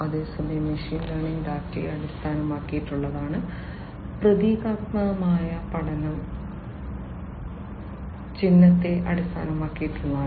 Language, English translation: Malayalam, So whereas, machine learning is based on data; symbolic learning is symbol based, symbolic learning is symbol based